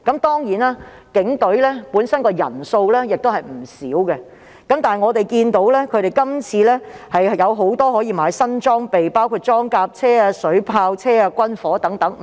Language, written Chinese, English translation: Cantonese, 當然，警隊本身的人員亦為數不少，但我們看到他們今次可以購置很多新裝備，包括裝甲車、水炮車和軍火。, Of course the Police Force comprise a large number of staff members but as we can see they can purchase many new equipment this time including armoured personnel carriers water cannon vehicles and arms